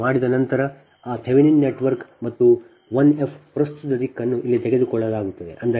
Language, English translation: Kannada, once this is done, that thevenin network and this i f this is the current direction is taken here